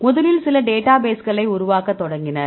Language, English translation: Tamil, First they started to develop few databases